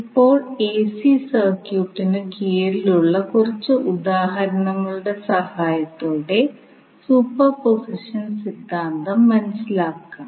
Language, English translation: Malayalam, So, now let us understand the superposition theorem with the help of few examples under AC circuit